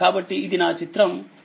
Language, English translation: Telugu, So, this is my figure 5